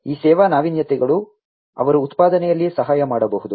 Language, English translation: Kannada, These service innovations, they can aid in manufacturing